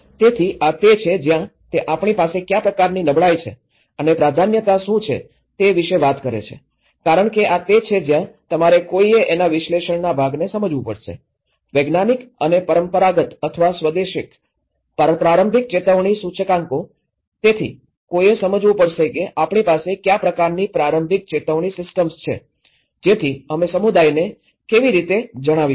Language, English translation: Gujarati, So, this is where, he talks about the what kind of degree of vulnerability we do have and what is the priorities because this is where you one has to understand the analysis part of it, identify the scientific and traditional or indigenous early warning indicators, so one has to understand that what kind of early warning systems we have, so that how we can inform these to the community